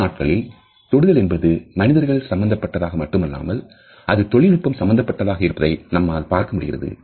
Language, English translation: Tamil, Nowadays we find that touch is not only related to human beings only, it has got a technological extension also